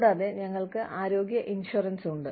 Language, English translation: Malayalam, And, we have health insurance